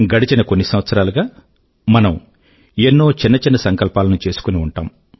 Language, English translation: Telugu, For the past many years, we would have made varied resolves